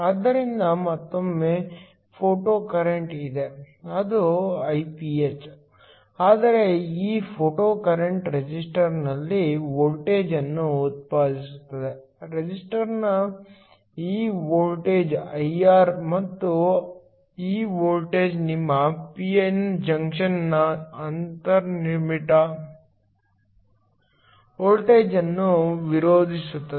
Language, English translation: Kannada, So, once again there is a photocurrent which is Iph, but this photocurrent generates a voltage across the resistor, this voltage across the resistor is I R and this voltage opposes the inbuilt voltage of your p n junction